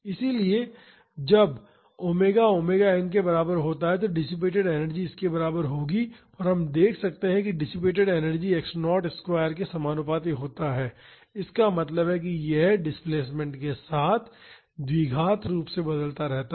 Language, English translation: Hindi, So, when omega is equal to omega n the dissipated energy will be equal to this and we can see that the energy dissipated is proportional to x naught square; that means, this varies quadratically with the displacement